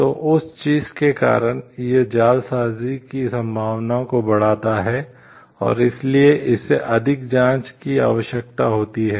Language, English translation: Hindi, So, because of that thing it in it is increase the chances of forgery and that is why it requires more checks